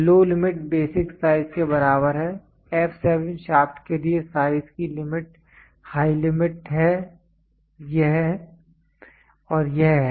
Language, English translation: Hindi, Low limit equal to the basic size, the limit of the size for the f 7 shaft are high limit is this and this high limits are this and this